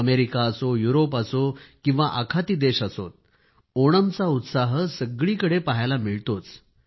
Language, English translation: Marathi, Be it America, Europe or Gulf countries, the verve of Onam can be felt everywhere